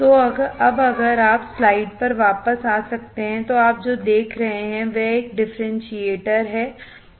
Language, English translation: Hindi, So, now if you can come back on the on the slide, what you see is a differentiator